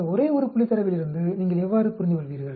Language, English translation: Tamil, How do you make out sense from this one point data